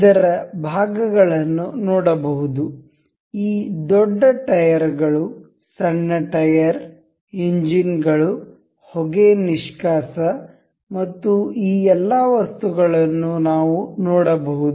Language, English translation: Kannada, We can see these parts of this the larger tires, the smaller tire, the engines, the smoke exhaust and all those things